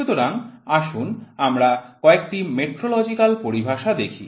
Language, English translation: Bengali, So, let us see some of the metrological terminology